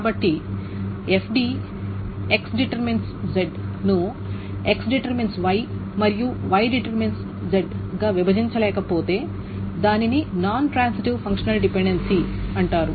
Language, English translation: Telugu, So if FD X to Z cannot be broken down X Y and Y to Z, then it's called a non transitive functional dependency